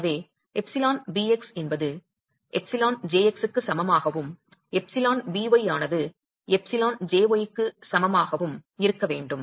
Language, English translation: Tamil, So, epsilon BX should be equal to epsilon JX and epsilon BY should be equal to epsilon JY